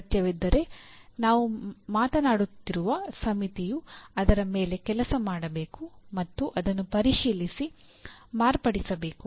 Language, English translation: Kannada, If necessary, the committee that we are talking about should work on it and review and modify